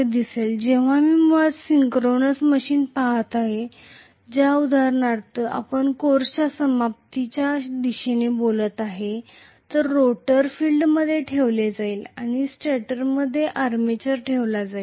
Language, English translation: Marathi, Whereas if I am looking at basically synchronous machines for example which we will be talking about towards the end of the course, the field will be housed in the rotor and armature will be housed in the stator